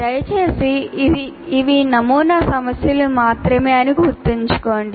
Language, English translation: Telugu, Once again, please remember these are only sample set of problems